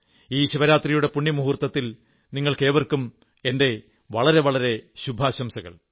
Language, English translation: Malayalam, I extend felicitations on this pious occasion of Mahashivratri to you all